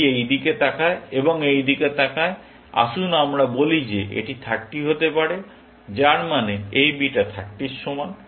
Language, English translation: Bengali, Let us say this happens to be 30, which means this beta is equal to 30